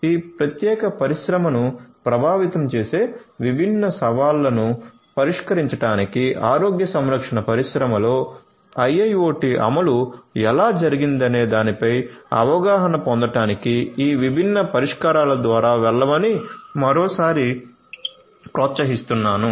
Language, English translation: Telugu, So, I would encourage you once again to go through these different solutions to get an understanding about how IIoT implementation has been done in the healthcare industry to solve different challenges that plague this particular industry